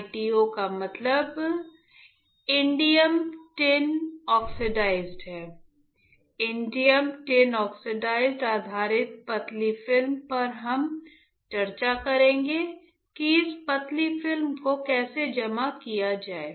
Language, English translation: Hindi, ITO stands for Indium Tin Oxide; indium tin oxide based thin film we will discuss how to deposit this thin film